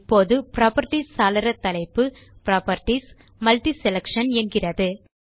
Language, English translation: Tamil, Now, the Properties window title reads as Properties MultiSelection